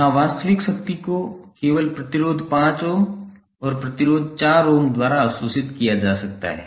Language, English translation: Hindi, Here the active power can only be absorbed by the resistor 5 ohm and the resistor 4 ohm